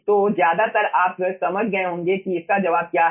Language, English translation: Hindi, so, ah, mostly you have understood what is the answer